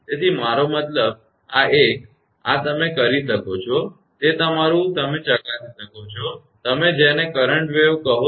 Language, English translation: Gujarati, So, I mean this one, this one you can, of your own you can verify that that you are what you call that current